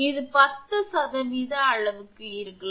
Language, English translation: Tamil, This may be to an extent of 10 percent